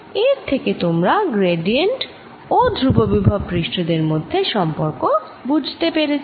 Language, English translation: Bengali, so you understood the relationship between gradient and constant potential surfaces